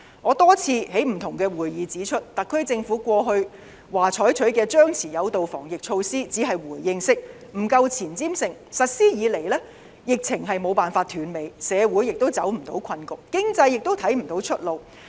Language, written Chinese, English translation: Cantonese, 我多次在不同的會議指出，特區政府過去表示採取的張弛有度防疫措施只是回應式，不夠前瞻性，實施以來，疫情無法停止，社會亦走不出困局，經濟亦看不到出路。, I have pointed out in various meetings that the suppress and lift approach adopted by the Government in the past to fight the pandemic was only a responsive approach which lacked farsightedness . Since the adoption of the approach the Government has failed to stop the pandemic we have been unable to break away from the predicament and could not see any way out for the economy